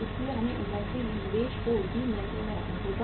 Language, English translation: Hindi, So we have to keep the investment in the inventory also under control